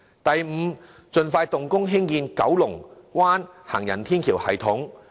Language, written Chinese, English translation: Cantonese, 第五，盡快動工興建九龍灣行人天橋系統。, Fifth the construction of Kowloon Bay elevated walkway system should commence as soon as practicable